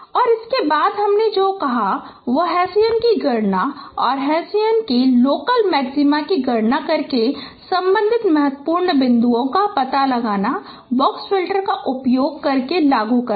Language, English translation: Hindi, And next what I said that no that is a computation of Hesian and finding out the corresponding key points by computing the local maxima of Haitians using box filters